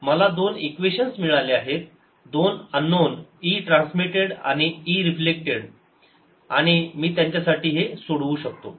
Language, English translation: Marathi, i have got an two equations to unknowns e transmitted and e reflected, and i can solve for them